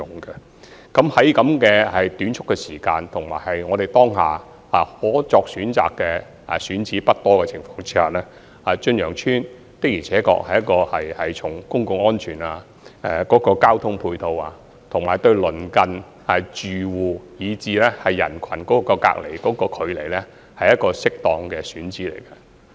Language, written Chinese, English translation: Cantonese, 在如此短促的時間，以及當下選址不多的情況下，從公共安全、交通配套，以及對鄰近住戶以至人群隔離距離來看，駿洋邨的確是一個適當的選址。, Given the short span of time and the limited choice of sites available for selection Chun Yeung Estate is indeed a suitable site judging from the factors of public safety complementary transport facilities distance from the households in the vicinity and distance from the crowd